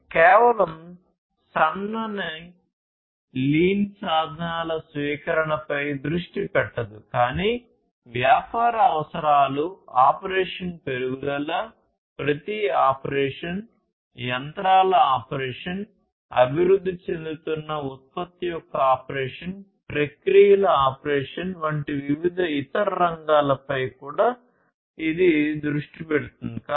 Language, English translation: Telugu, And it does not focus on just the adoption of the lean tools, but also it focuses on different other areas such as business requirements, operation improvement, operation of everything, operation of the machinery, operation of the product being developed, operation of the processes